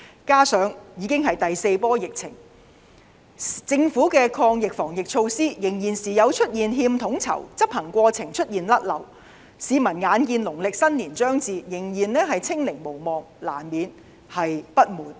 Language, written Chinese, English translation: Cantonese, 加上這次已經是第四波疫情，政府的抗疫防疫措施仍時有欠統籌，執行過程出現錯漏的情況，市民眼見農曆新年將至，仍然"清零"無望，難免不滿。, Furthermore it is already the fourth wave of the pandemic but the anti - pandemic measures adopted by the Government are still loosely coordinated and errors are not uncommon in their execution . The Chinese New Year is approaching there is still no hope of achieving zero infection it is therefore understandable that people are not satisfied with the Government